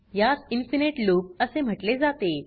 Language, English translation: Marathi, It is known as infinite loop